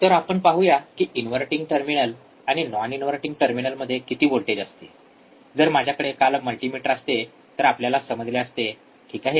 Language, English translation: Marathi, So, what is the voltage at inverting terminal let us see, let us see what is the voltage at non inverting terminal if I have a multimeter yesterday we all know, right